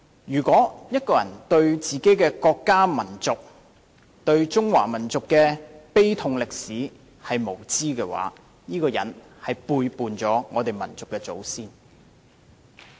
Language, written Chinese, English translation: Cantonese, 如果中國人對自己的國家民族、對中華民族的慘痛歷史無知無覺，便是背叛了我們的祖先。, As Chinese if we have no feeling or awareness towards our country and nation as well as the tragic history of the Chinese nation we have betrayed our ancestors